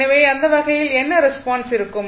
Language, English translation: Tamil, So, in that case what will be the response